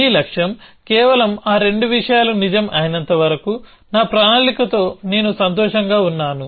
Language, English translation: Telugu, Your goal may simply be that as long as those 2 things are true, then I am happy with my plan essentially